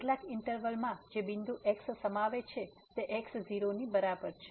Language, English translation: Gujarati, In some interval which contains the point is equal to